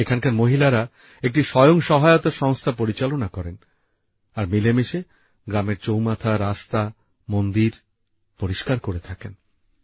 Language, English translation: Bengali, The women here run a selfhelp group and work together to clean the village squares, roads and temples